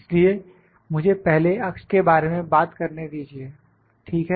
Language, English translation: Hindi, So, let me first talk about the axis, ok